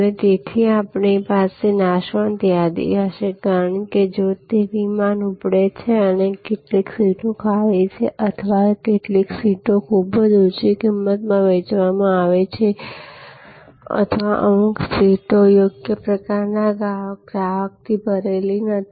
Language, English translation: Gujarati, And therefore, we will have this perishable inventory, because if that flight has taken off and if some seats are vacant or if some seats have been sold at a price too low or some seats are not filled with the right kind of customer